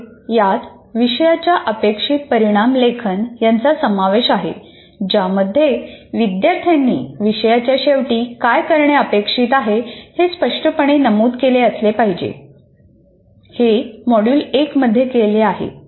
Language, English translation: Marathi, It consists of writing course outcomes that clearly state what the students are expected to be able to do at the end of the course